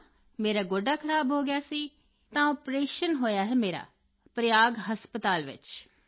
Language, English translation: Punjabi, Yes, my knee was damaged, so I have had an operation in Prayag Hospital |